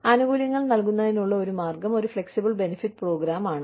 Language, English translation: Malayalam, One of the ways, of administering benefits is, using a flexible benefits program